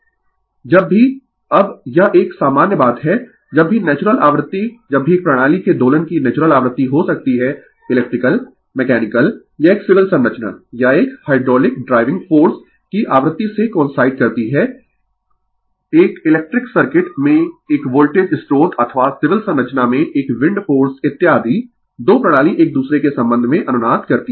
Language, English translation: Hindi, Now, this is one general thing, whenever the natural frequency whenever the natural frequency of oscillation of a system could be electrical, mechanical or a civil structure or a hydraulic right coincides with the frequency of the driving force a voltage source in an electric circuit or a wind force in civil structure etc, the 2 system resonant with respect to each other right